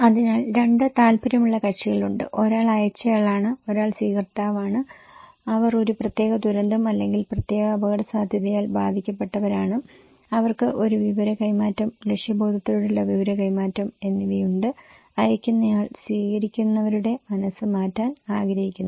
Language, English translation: Malayalam, So, there are two interested parties; one is the sender and one is the receiver, they are affected, impacted by particular disaster or particular risk and they have an information exchange, purposeful exchange of informations and sender wants to change the mind of the receivers okay